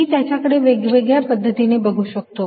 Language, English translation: Marathi, i can look at it in many different ways